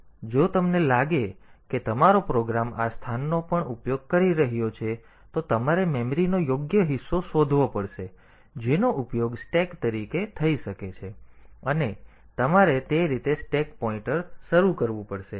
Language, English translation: Gujarati, So, if you find that your program is using even this location then you have to find out a suitable chunk of memory that can be used as stack, and you have to initialize the stack pointer that way